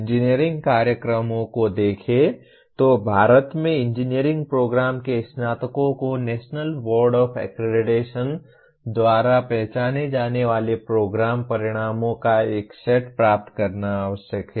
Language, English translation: Hindi, Engineering programs if you look at, the graduates of engineering programs in India are required to attain a set of Program Outcomes identified by National Board of Accreditation